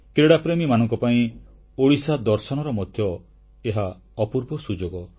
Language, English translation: Odia, This is a chance for the sports lovers to see Odisha